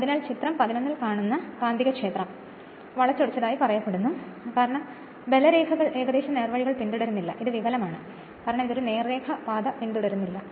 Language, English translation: Malayalam, So, the magnetic field that is your in figure 11 is said to be distorted since the lines of force no longer follow approximately straight paths, because this is distorted, because it is not following any straight line path right